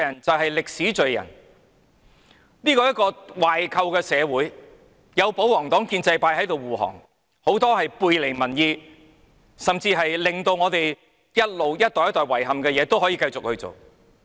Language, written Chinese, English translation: Cantonese, 這是一個壞透的社會，有保皇黨和建制派護航，很多背離民意，甚至是令一代又一代人遺憾的事情也可以繼續做。, This society is rotten to the core and with the pro - Government camp and pro - establishment camp clearing the way many things running counter to public opinion and even deeds that will make generation after generation of people regret can continue to be done